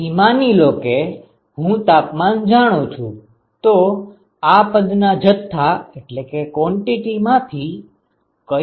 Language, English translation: Gujarati, So, supposing I know the temperatures, which quantity in this expression is a known quantity